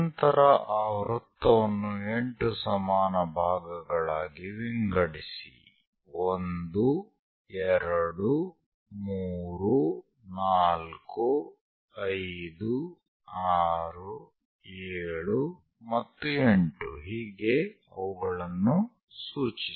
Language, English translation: Kannada, Then divide the circle into 8 equal parts, number them; 1, 2, 3, 4, 5, 6, 7 and 8